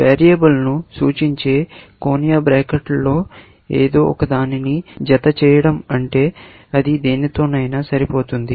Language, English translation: Telugu, When we enclose something in angular brackets like this that represents a variable, essentially, which means, it will match anything